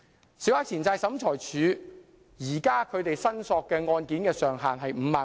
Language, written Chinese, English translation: Cantonese, 現時小額錢債審裁處處理的申索金額上限是5萬元。, At present the Small Claims Tribunal handles claims up to a maximum amount of 50,000